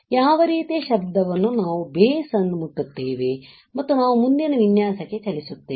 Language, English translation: Kannada, What are kind of noise we will just touch the base and we will move to the next texture